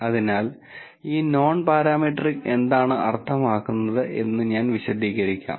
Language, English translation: Malayalam, So, let me explain what this non parametric means